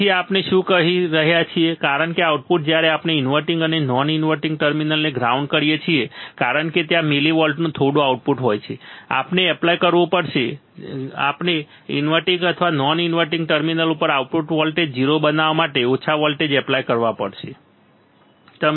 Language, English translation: Gujarati, So, what we are saying that because the output when we ground the inverting and non inverting terminal because there is some output of millivolts, we have to apply we have to apply a small voltage at either inverting or non inverting terminal at either inverting or non inverting terminal to make the output voltage 0, you got it